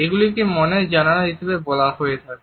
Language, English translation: Bengali, They have been termed as a windows to our souls